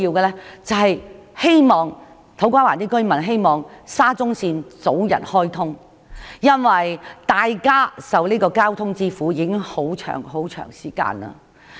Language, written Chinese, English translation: Cantonese, 現在土瓜灣居民最希望沙中線能早日開通，因為大家已經長時間受交通之苦。, Now the residents in To Kwa Wan hope most keenly for early commissioning of SCL because they have long suffered from traffic problems